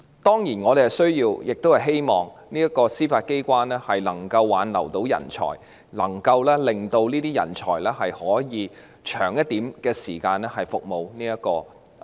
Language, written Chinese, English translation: Cantonese, 當然，我們需要並希望司法機關能夠挽留人才，讓這些人才可以在司法機關服務長久一點。, Certainly it is necessary for the Judiciary to retain talents and allow them to serve in the Judiciary for a longer time and this is our hope as well